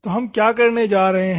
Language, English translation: Hindi, So, what we are going to do